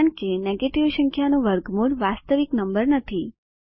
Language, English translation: Gujarati, As square root of negative number is not a real number